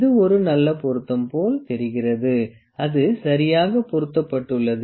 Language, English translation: Tamil, It is looks like a good fit; it is fitting properly